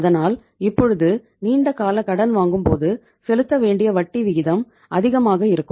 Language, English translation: Tamil, So it means if you are borrowing the funds for the longer duration you have to pay the lesser rate of interest